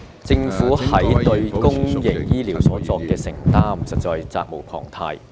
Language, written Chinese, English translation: Cantonese, 政府對公營醫療作出承擔實在責無旁貸。, The Government is duty - bound to assume responsibilities for public health care